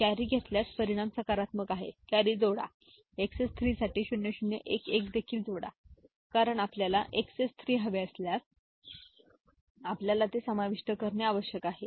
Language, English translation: Marathi, If carry, result is positive add carry, also add 0 0 1 1 for XS 3 because if you want XS 3 we need to add this one